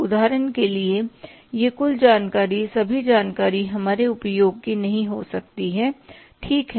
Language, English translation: Hindi, For example in this total information all the information may not be of our use